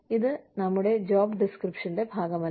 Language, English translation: Malayalam, It is not part of our job description